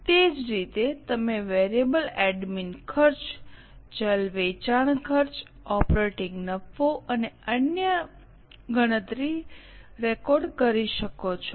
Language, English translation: Gujarati, Same way you can record, calculate the variable admin expenses, variable selling expenses, operating profit and so on